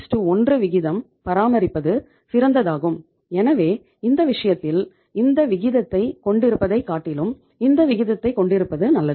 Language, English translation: Tamil, 33:1 rather than maintaining it as 2:1 so in this case it is better to have this ratio rather than having this ratio